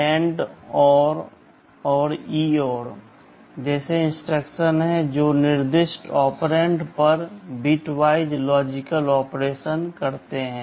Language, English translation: Hindi, There are instructions like AND, ORR and EOR that performs bitwise logical operation on the specified operands